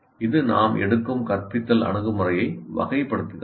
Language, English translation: Tamil, That characterizes the particular instructional approach that we are taking